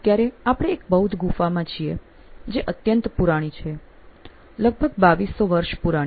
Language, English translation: Gujarati, Right now, we are actually standing in one of the Buddhist caves which is close to 2200 years old, very very old